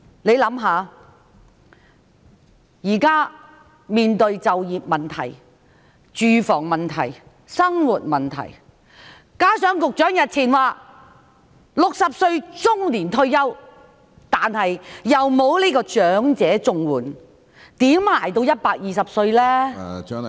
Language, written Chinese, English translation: Cantonese, 試想想，現在面對就業問題、住房問題、生活問題，加上局長日前說 "60 歲是中年退休"，但又不能申領長者綜援，如何支撐到120歲？, Let us think about it we are now in face of employment problems housing problems and livelihood problems . The Secretary even remarked a few days ago that retiring at 60 years old is just retiring middle - aged . Yet these people cannot apply for elderly Comprehensive Social Security Assistance CSSA how can they support themselves to 120 years old?